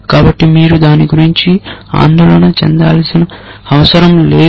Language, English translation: Telugu, So, you do not have to worry about it